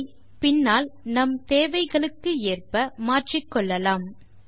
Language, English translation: Tamil, We can also modify it later as per our requirement